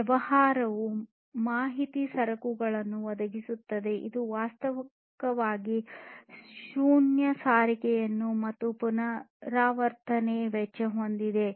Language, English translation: Kannada, So, business providing information goods has virtually zero transportation and replication cost